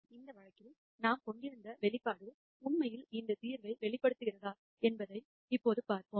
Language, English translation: Tamil, Now let us see whether the expression that we had for this case actually uncovers this solution